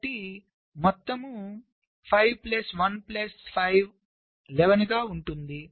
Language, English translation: Telugu, so total five plus one plus five, eleven